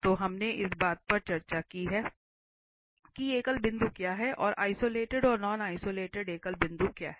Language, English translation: Hindi, So, this is what we have discussed what is the singular point and further what is the isolated and non isolated singular point